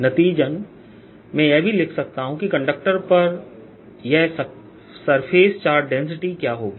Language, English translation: Hindi, as a consequence, i can also write what this surface charge density will be on a conductor